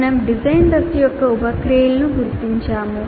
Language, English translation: Telugu, We identified the sub processes of design phase